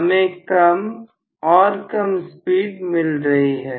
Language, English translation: Hindi, So, I am going to have less and less speed